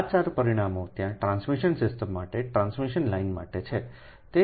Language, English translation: Gujarati, these four parameters are there for transmission system, a transmission line